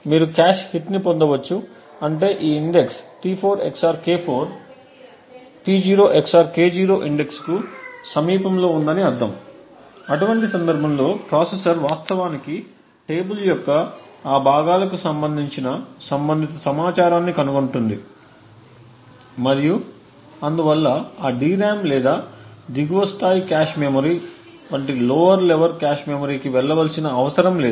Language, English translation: Telugu, Either you can get a cache hit which would mean that this index T4 XOR K4 is in the vicinity or is closed to the index P0 XOR K0, in such a case the processor would actually find the relevant information corresponding to those parts of the table and therefore would not require to actually go to the lower memories like that DRAM or the lower level cache memory